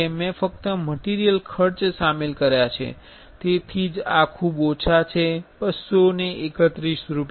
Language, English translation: Gujarati, I have only included material costs that is why it is very low these 231 rupees